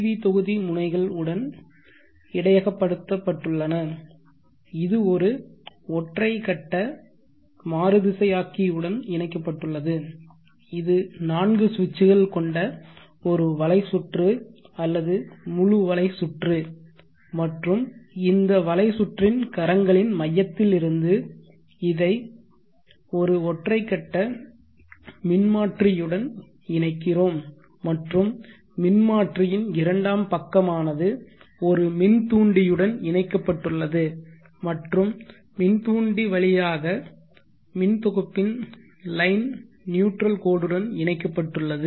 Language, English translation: Tamil, The PV module terminals being buffered is connected to a single phase inverter which is consisting of a bridge having four switches full bridge having four switches and from this center of this bridge arms we will connected to a single phase transformer like this and the secondary side of the transformer is connected to an inductor and through the inductor is connected to the line neutral of the grid for single phase grid